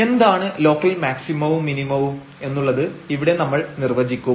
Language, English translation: Malayalam, So, what is local maximum and minimum we will define here